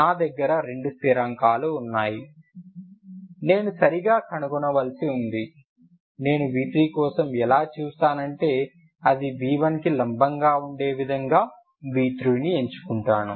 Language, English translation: Telugu, See i have two constants i have to find right, if i look for v3 i choose v3 in such a way that which is perpendicular to v1